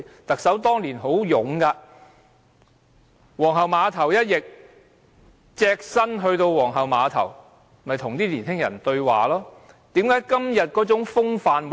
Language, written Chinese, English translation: Cantonese, 特首當年很勇猛，皇后碼頭一役，她隻身前赴皇后碼頭跟年輕人對話，何以今天不見這種風範呢？, Back then Carrie LAM was bold and courageous . In the Queens Pier incident she went to the Queens Pier all alone to meet with the young people . Why has such strength of character gone?